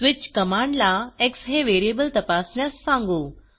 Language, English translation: Marathi, Here, we tell the switch command that the variable to be checked is x